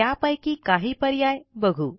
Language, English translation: Marathi, Lets look at some of the ways